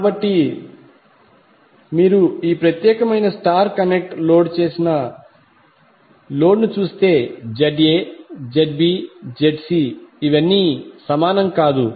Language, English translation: Telugu, So if you see this particular star connected load, ZA, ZB, ZC are not equal